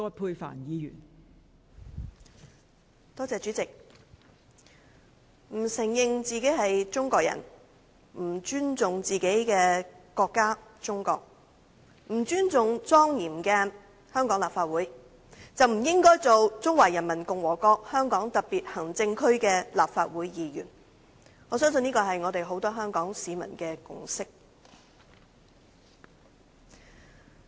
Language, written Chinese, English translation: Cantonese, 代理主席，不承認自己是中國人、不尊重自己的國家——中國、不尊重莊嚴的香港立法會，便不應該擔任中華人民共和國香港特別行政區的立法會議員，我相信這是很多香港市民的共識。, Deputy President one who denies his Chinese identity disrespects his own country―China and disrespects the solemn Legislative Council of Hong Kong should not hold office as a Member of the Legislative Council of the Hong Kong Special Administrative Region of the Peoples Republic of China . This I think is a consensus shared by many people of Hong Kong